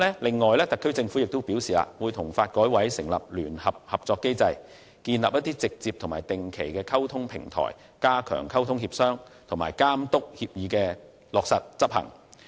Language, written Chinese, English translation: Cantonese, 此外，特區政府亦表示會與發改委成立聯合合作機制，建立直接和定期溝通的平台，加強溝通協商，並監督協議落實執行。, In addition the SAR Government also advised that it would establish a joint working mechanism with NDRC for direct and regular dialogues to strengthen communication and cooperation and to oversee the implementation of the agreement